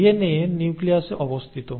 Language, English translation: Bengali, The DNA is sitting in the nucleus